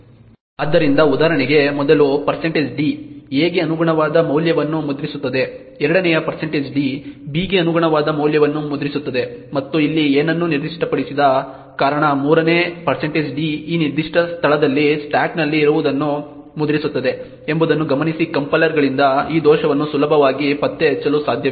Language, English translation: Kannada, So for example the first % d would print the value corresponding to a, the second % d would print the value corresponding to b and the third % d since nothing is specified here would print whatever is present in the stack in this particular location note that this bug cannot be easily detected by compilers